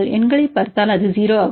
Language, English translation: Tamil, Some cases you can see higher numbers 0